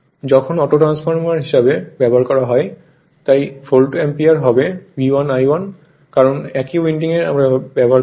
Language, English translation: Bengali, When used as an autotransformer, so Volt ampere will be what will be V 1 into I 1 because same winding we are using